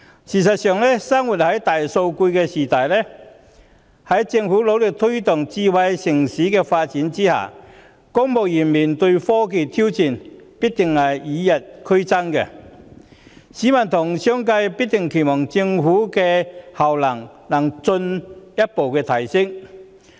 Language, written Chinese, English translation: Cantonese, 事實上，生活在大數據的時代，在政府努力推動"智慧城市"的發展的同時，公務員須面對科技的挑戰必定與日俱增，而市民和商界必定期望政府的效能能進一步提升。, As a matter of fact living in an era of big data where the Government is striving to promote the development of a Smart City the challenges of technology faced by civil servants will definitely increase as time goes by and members of the public and the business community will naturally expect to see further enhancement in government efficiency